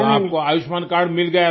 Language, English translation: Hindi, So you had got an Ayushman card